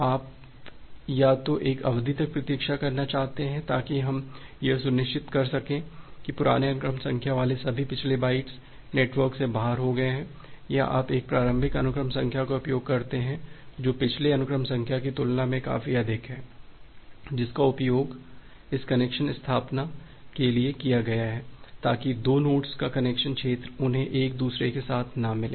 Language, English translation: Hindi, So you want to either either wait for a duration so, that we make ensure that all the previous bytes with the old sequence number that are gone out of the network or you use a initial sequence number, which is high enough compared to the previous sequence number that has been utilized for this connection establishment, so that the connection zone of 2 nodes they doesn’t get with each other